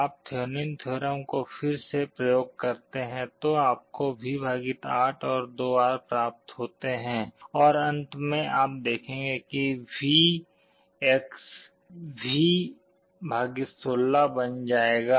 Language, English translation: Hindi, You apply Thevenin’s theorem again you get V / 8 and 2R and finally, you will see that VX becomes V / 16